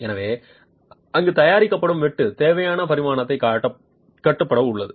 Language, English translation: Tamil, So, there is dimensional control required for the cut that is being prepared there